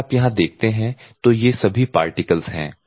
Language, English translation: Hindi, You have to use this type of particles